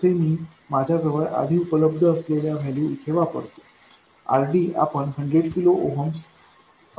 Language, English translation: Marathi, By the way, let me put the values I had before already we took it to be 100 kilo ooms